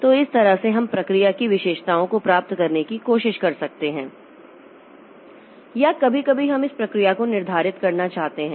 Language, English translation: Hindi, So that way we can try to get the attributes of the process or sometimes we may want to set the process attributes